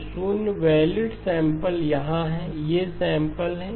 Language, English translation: Hindi, So 0 valid sample is here, these are the samples